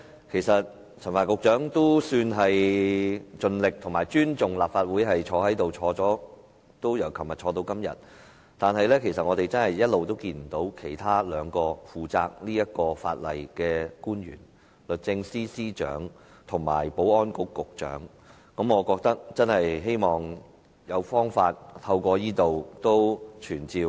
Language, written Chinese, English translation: Cantonese, 其實陳帆局長也算是盡力和尊重立法會，昨天和今天均有出席會議，但我們一直看不見負責這項法例的兩名官員，即律政司司長及保安局局長，我希望藉此機會在這裏傳召......, Actually Secretary Frank CHAN has kind of tried his best and shown respect to the Legislative Council . He attended the meeting both yesterday and today . Yet we do not see the two public officers responsible for this piece of legislation ie